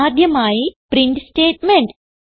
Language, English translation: Malayalam, The first one is the print statement